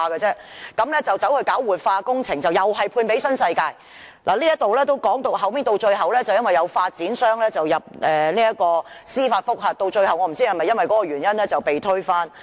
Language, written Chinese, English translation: Cantonese, 他計劃進行活化工程，又是判給新世界發展有限公司，後來有發展商入稟申請司法覆核，我不知道計劃最後是否因為那個原因而被推翻？, He planned to carry out some revitalizing works and outsourced the project to New World Development Company Limited . Later on a developer filed an application for judicial review . I am not sure whether that plan was finally rejected due to this reason